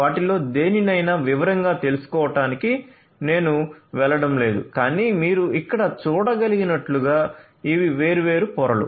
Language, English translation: Telugu, So, I am not going to go through any of them in detail, but as you can see over here these are these different layers